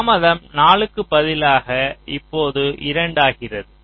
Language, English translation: Tamil, so instead of four, the delay now becomes two